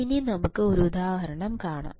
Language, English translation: Malayalam, So, what is the example